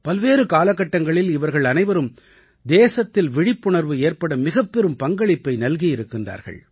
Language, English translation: Tamil, In different periods, all of them played a major role in fostering public awakening in the country